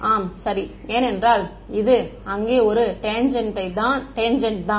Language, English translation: Tamil, Yes, right because this is just a tangent over there